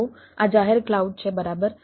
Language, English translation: Gujarati, so these are the public clouds, right